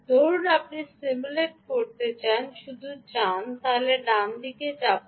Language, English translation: Bengali, so let us see, supposing you want to simulate, just go and press ah, run right